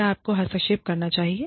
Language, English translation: Hindi, Should you intervene